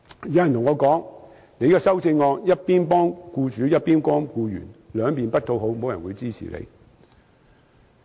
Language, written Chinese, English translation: Cantonese, 有人對我說，我的修正案一邊幫僱主，一邊幫僱員，兩方不討好，沒有人會支持我。, Someone has said to me that as my amendment seeks to benefit employers on the one hand and employees on the other it will not find favour with either side and no one will support me